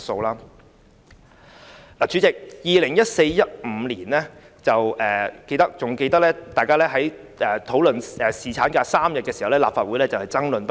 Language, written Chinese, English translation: Cantonese, 代理主席，猶記得大家在2014年至2015年間討論3天侍產假時，立法會爭論不已。, Deputy President I still remember when the Legislative Council debated the proposed three - day paternity leave in the 2014 - 2015 Session there was also a lot of contention